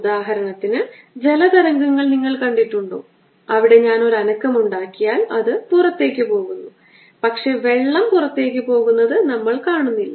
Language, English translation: Malayalam, for example, you have seen water waves where, if i make disturbance, the travels out, but we don't see water going out